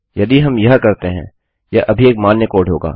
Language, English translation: Hindi, If we do this, this is still a valid code